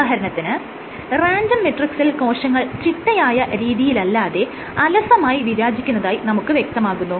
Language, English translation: Malayalam, So, for example, on a random matrix cells will tend to migrate in a random fashion without any persistent motion